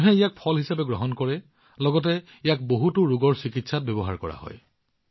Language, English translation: Assamese, People consume it not only in the form of fruit, but it is also used in the treatment of many diseases